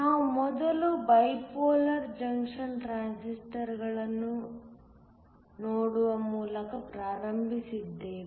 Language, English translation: Kannada, We first started by looking at bipolar junction transistors, BJT